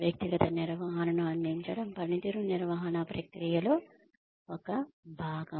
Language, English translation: Telugu, Providing individual feedback is part of the performance management process